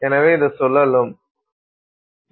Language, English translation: Tamil, So, it is inverted